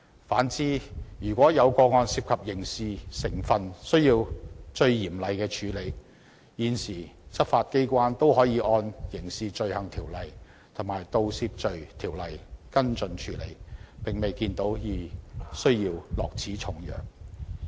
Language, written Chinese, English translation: Cantonese, 反之，如果有個案涉及刑事成分而須嚴厲處理時，現時執法機構也可以按《刑事罪行條例》及《盜竊罪條例》跟進處理，並未有需要落此重藥。, On the contrary if a case involves criminality and has to be dealt with in a more stringent manner the current enforcement agencies can also follow up and deal with it under the Crimes Ordinance and the Theft Ordinance . There is no need to administer such a heavy dose of medicine